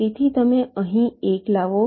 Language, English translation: Gujarati, so you bring one here